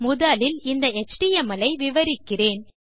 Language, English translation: Tamil, So the first one I am going to explain is this html